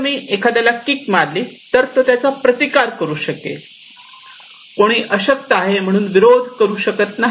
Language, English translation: Marathi, If I kick someone, then somebody can resist it, somebody cannot resist it because he is weak